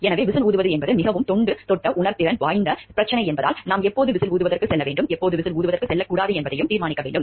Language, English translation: Tamil, So, whistle blowing because it is a very touchy sensitive issues, we need to decide also when we should go for whistle blowing and when we should not go for whistle blowing